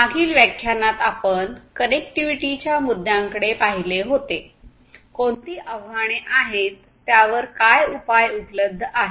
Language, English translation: Marathi, In the previous lectures, we looked at the connectivity issues; that means, with respect to communication, what are the challenges that are there, what are the solutions that are available